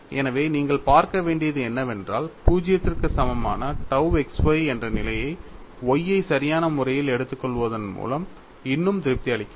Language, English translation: Tamil, So, what will have to look at is, the condition tau xy equal to 0 is still satisfiable by taking Y appropriate